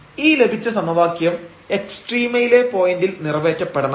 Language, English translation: Malayalam, So, we got this another equation which is satisfied at the point of a extrema